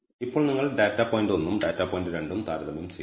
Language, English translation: Malayalam, Now, you compare data point 1 and data point 2